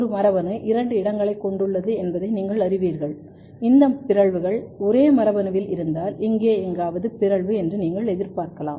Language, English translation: Tamil, You know that the genes exist and there are two loci and if these mutants are in the same gene then you can expect that somewhere here is the mutation